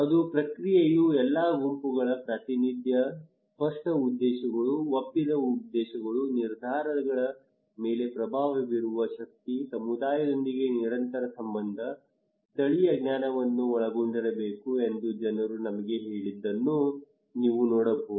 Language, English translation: Kannada, And you can see what people told us they said that process there should be representation of all groups, clear objectives, agreed objectives, power to influence decisions, continued relation with the community, incorporating local knowledge, good facilitator